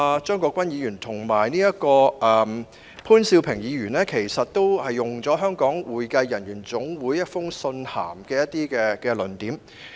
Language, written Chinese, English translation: Cantonese, 張國鈞議員和潘兆平議員剛才均引用了香港會計人員總會提交的意見書中的一些論點。, Both Mr CHEUNG Kwok - kwan and Mr POON Siu - ping have cited some of the arguments put forward by the Hong Kong Accounting Professionals Association HKAPA in its submission